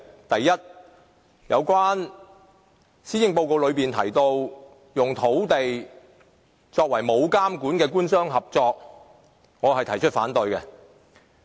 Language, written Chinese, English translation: Cantonese, 第一，有關施政報告提到的那種沒有監管的官商合作土地發展方式，我是反對的。, First of all I am against the development mode proposed in the Policy Address for developing land by public - private partnership which lacks regulation